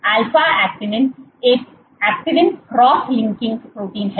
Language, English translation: Hindi, Alpha actinin is an actin cross linking protein